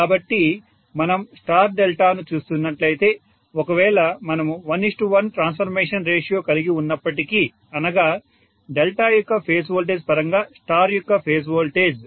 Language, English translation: Telugu, So if we are looking at star Delta, even if we are having 1 is to 1 transformation ratio that is phase voltage of star with respect to phase voltage of delta